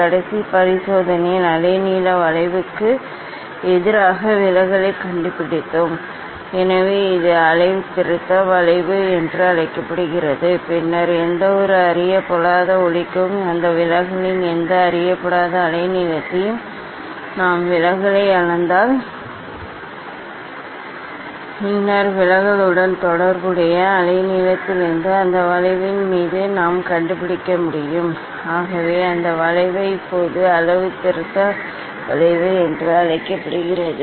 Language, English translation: Tamil, in last experiment, we have we have first we have found out the deviation versus wavelength curve, so that is called the calibration curve And then for any unknown light, any unknown wavelength of that light if we measure the deviation, then from the deviation corresponding wavelength we can find out the on that curve, so that is how that curve is called the calibration curve now today the experiment will do that dispersive curve, dispersion curve of the prism ok; prism has dispersion power